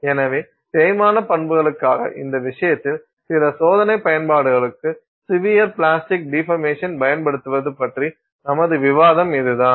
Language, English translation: Tamil, So, that's our discussion on using severe plastic deformation for some experimental application in this case for wear properties